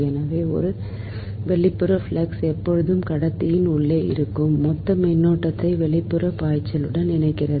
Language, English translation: Tamil, so an external flux always link the total current inside the conductor